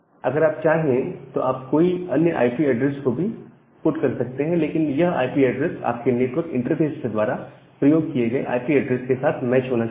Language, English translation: Hindi, If you want you can also put some IP address there but that IP address need to be matched with the IP address used by your network interface